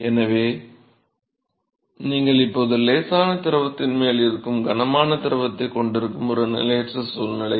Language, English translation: Tamil, So, that is an unstable situation where you have a heavy fluid which is now sitting on top of the light fluid